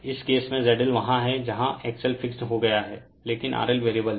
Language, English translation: Hindi, In this case in this case your Z L is there, where X L is fixed, but R L is variable